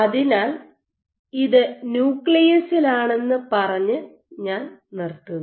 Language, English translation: Malayalam, And, so this I would wrap up by saying that in the nucleus